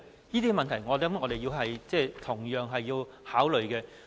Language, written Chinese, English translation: Cantonese, 這些問題，我們同樣需要考慮。, We have to take these issues into account